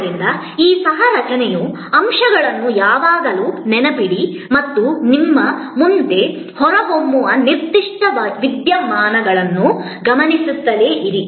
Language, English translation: Kannada, So, always remember this co creation element and keep watching that, particular phenomena emerging in front of you